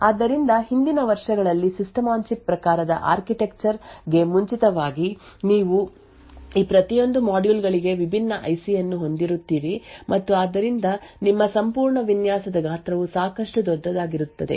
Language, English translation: Kannada, So, in prior years previous prior to the System on Chip type of architecture you would have a different IC present for each of these modules and therefore the size of your entire design would be quite large right